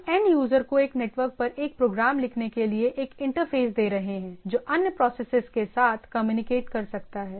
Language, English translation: Hindi, See by doing this we are giving a interface to the end user to write program one network which can communicate with the other processes, right